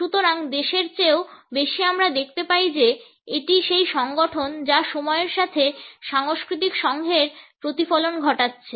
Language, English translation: Bengali, So, more than the country we find that it is the organization which is reflecting the cultural associations with time